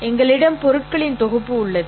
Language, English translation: Tamil, We have a collection of objects